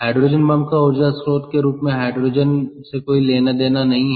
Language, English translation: Hindi, ok, hydrogen bomb has nothing to do with hydrogen as energy source